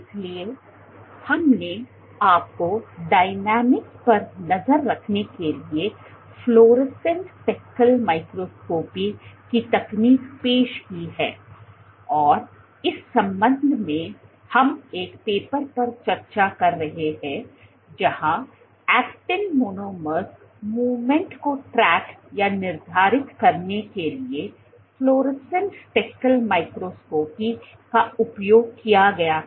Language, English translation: Hindi, So, we have been I have introduced you the technique of fluorescent speckle microscopy for tracking dynamics, and in this regard we were discussing a paper where fluorescent speckle microscopy was performed to track or quantify actin monomers movement during migration